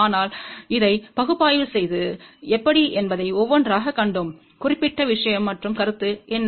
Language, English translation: Tamil, But we will see that one by one how do we do the analysis of this particular thing and what are the concept